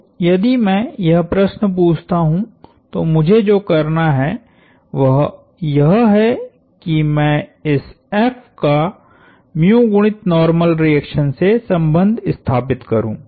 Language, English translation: Hindi, So, if I ask this question, then what I need to do is, relate this F to mu times the normal reaction